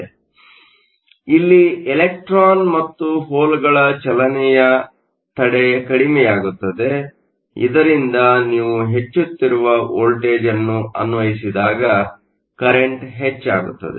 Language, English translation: Kannada, So here, the barrier for the motion of the electron and holes is reduced so that there is an increasing current, when you apply an increasing voltage